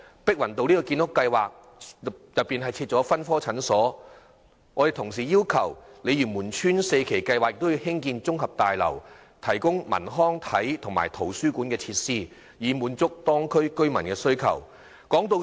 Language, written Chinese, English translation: Cantonese, 碧雲道建屋計劃已包括設立分科診所，我們同時要求鯉魚門邨第四期計劃納入綜合大樓，提供文娛、康樂、體育及圖書館等設施，以滿足當區居民的需求。, The Pik Wan Road housing project has included the provision of a polyclinic . We also ask for a complex to be incorporated into Phase 4 of the development of the Lei Yue Mun Estate to provide cultural recreational sports and library facilities with a view to meeting the demand of the local residents